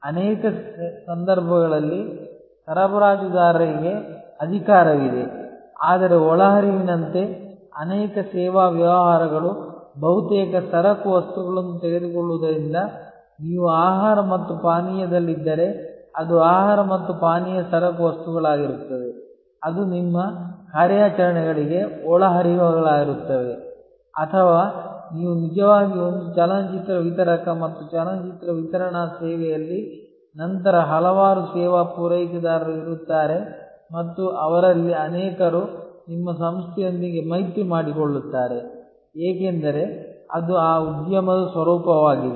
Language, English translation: Kannada, Suppliers in many cases have power, but since many service businesses as inputs take almost commodity items, like if you are in food and beverage then it will be the food and beverage commodity items which will be inputs to your operations or if you are actually a movie distributor and in a movie distribution service, then there will be a number of service suppliers and many of them will be in alliance with your organization, because that is the nature of that industry